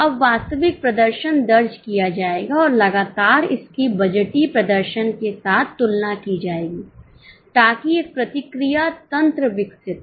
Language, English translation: Hindi, Now the actual performance will be recorded and that will be continuously compared with the budgeted performance so that a feedback mechanism is developed